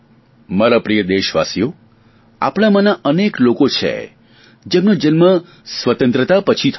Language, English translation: Gujarati, My dear countrymen there are many among us who were born after independence